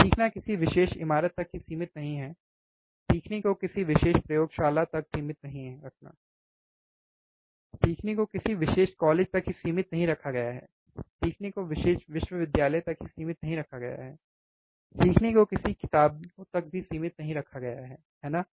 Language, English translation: Hindi, Learning is not restricted to a particular building, learning is not restricted to a particular lab, learning is not restricted to a particular college, learning is not restricted to particular university, learning is not restricted to any books also, right